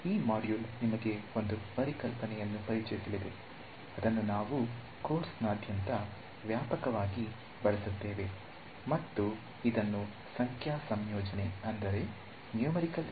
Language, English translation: Kannada, Alright so, this module is going to introduce you to a concept which we will use extensively throughout the course and that is dealing with what is called Numerical Integration